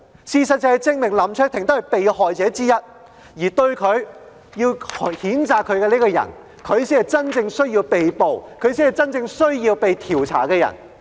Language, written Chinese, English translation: Cantonese, 事實亦證明，他只是被害者之一。提出譴責他的人，才是真正需要被捕和被調查的人。, The fact has also proven that he was only one of the victims and the Member who proposes to censure him is rather the one who must be subject to arrest and an inquiry